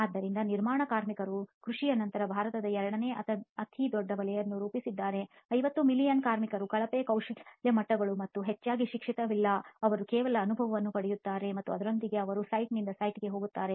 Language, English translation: Kannada, So construction workers obviously form the second largest sector in India after agriculture 50 million workers, poor skill levels and mostly no education, they just gain experience and with that they move from site to site, we have a constantly changing workforce